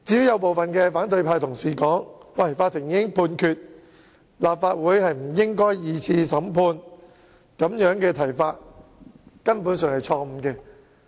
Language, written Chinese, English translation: Cantonese, 有部分反對派同事指出，既然法庭已經作出判決，立法會不應進行第二次審判，但我認為這個說法根本有問題。, Some colleagues of the opposition camp pointed out that since the court has made its judgment Dr CHENGs conduct should not be tried a second time by the Legislative Council . I hold that something is wrong with this claim